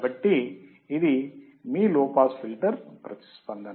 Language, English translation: Telugu, So, this is your low filter low pass filter response